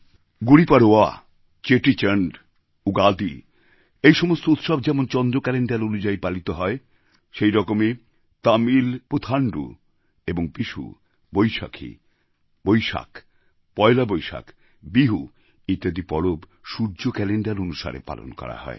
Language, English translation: Bengali, GudiPadva, Chettichand, Ugadi and others are all celebrated according to the lunar Calendar, whereas Tamil PutanduVishnu, Baisakh, Baisakhi, PoilaBoisakh, Bihu are all celebrated in accordance with solar calendar